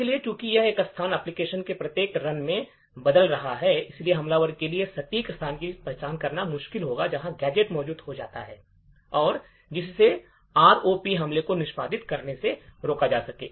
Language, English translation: Hindi, So, since this location are changing in every run of the application, it would be difficult for the attacker to identify the exact location where the gadgets are going to be present, thereby preventing the ROP attacks from executing